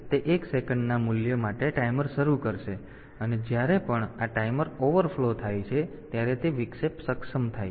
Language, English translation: Gujarati, So, it will start a timer for a value of 1 second, and whenever this timer overflows the interrupt is enabled